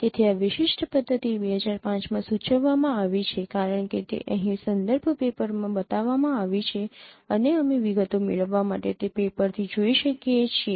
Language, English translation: Gujarati, So, this, this particular method is proposed in 2005 as it is shown in the reference paper here and you can go through that paper to get the details